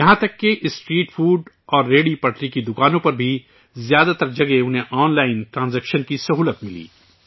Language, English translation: Urdu, Even at most of the street food and roadside vendors they got the facility of online transaction